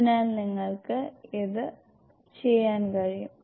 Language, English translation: Malayalam, So you can do this